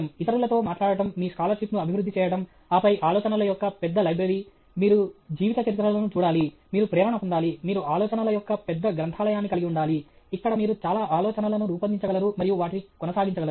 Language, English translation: Telugu, Talking to others, developing your scholarship, and then, large library of ideas, you should look at biographies, you should get inspired; you should have large library of ideas, where you are able to generate many ideas and pursue them okay